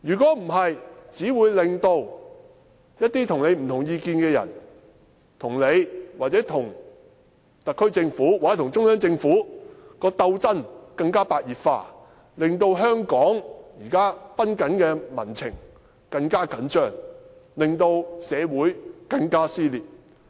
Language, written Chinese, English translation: Cantonese, 否則，只會令一些與他不同意見的人，與他、與特區政府或中央政府的鬥爭更為白熱化，令香港現時崩緊的民情更為緊張，令社會更為撕裂。, Otherwise it will only intensify the confrontation of his opposers against him against the SAR Government or the Central Government making the prevailing strained public sentiment in Hong Kong even tenser the society more divided